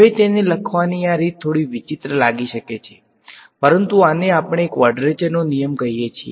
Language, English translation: Gujarati, Now, this way of writing it might look a little strange, but this is what we call a quadrature rule